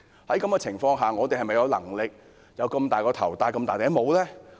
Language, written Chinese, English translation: Cantonese, 在這種情況下，我們是否有能力，承擔那麼大的工程呢？, Under the circumstances do we have the capability to undertake such a big project?